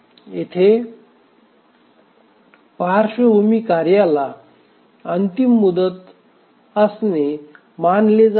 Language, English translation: Marathi, So the background task we don't consider them having a deadline